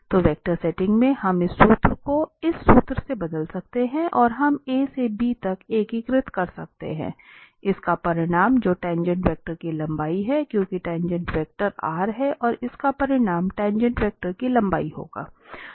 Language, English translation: Hindi, So what we can, now in the vector setting we can replace this formula by this formula that we can integrate a to b, the magnitude of this r prime t, which is the length of the tangent vector, because r prime is the tangent vector and its magnitude will be the length of the tangent vector